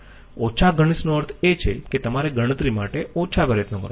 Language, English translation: Gujarati, Less intensive means you have to put less computational efforts